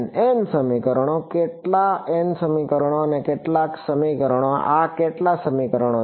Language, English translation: Gujarati, n equations, how many n equations and how many equations, how many equations is this